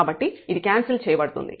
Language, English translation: Telugu, So, this will get cancelled